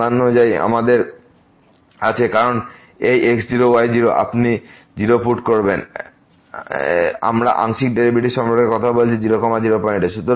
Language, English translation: Bengali, As per the definition, we have because this naught naught; you will put 0, we are talking about the partial derivatives at point